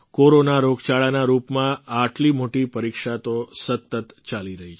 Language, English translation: Gujarati, In the form of the Corona pandemic, we are being continuously put to test